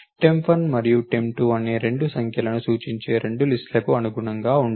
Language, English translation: Telugu, Temp 1 temp 2 correspond to the 2 list which represent the 2 numbers